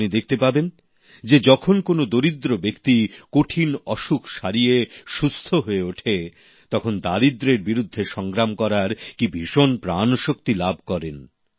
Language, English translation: Bengali, You will see that when an underprivileged steps out of the circle of the disease, you can witness in him a new vigour to combat poverty